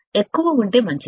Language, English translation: Telugu, Higher the better